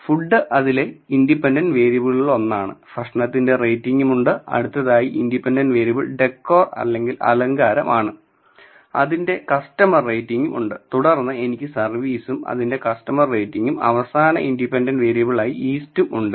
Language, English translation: Malayalam, So, I have food which is one of the independent variables it, is the customer rating of the food then I have decor which is the customer rating of decor, then I have service which is the customer rating of the service and east